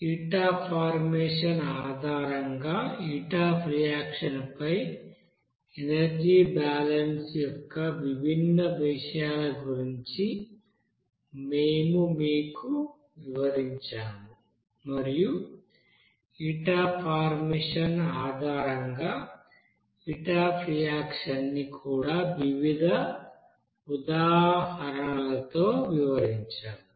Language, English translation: Telugu, There we have described about different you know aspect of energy balances on heat of reaction based on heat of formation and also we have described those heat of reaction based on heat of formation with different examples